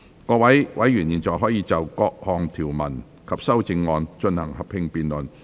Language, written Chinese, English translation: Cantonese, 各位委員現在可以就各項條文及修正案，進行合併辯論。, Members may now proceed to a joint debate on the clauses and amendments